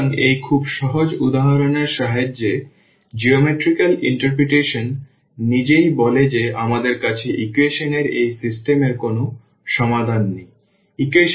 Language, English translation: Bengali, So, with the help of this very simple example the geometrical interpretation itself says that we do not have a solution of this system of equations